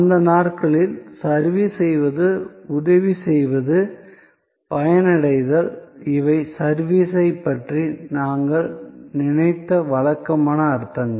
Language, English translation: Tamil, In those days, the action of serving, helping, benefiting, these were the usual connotations when we thought of service